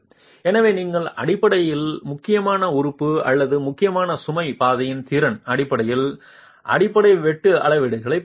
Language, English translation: Tamil, So, you are basically going to scale the base shear based on the capacity of the critical element or the critical load path